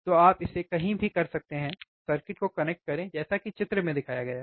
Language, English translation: Hindi, So, you can do it anywhere connect the circuit as shown in figure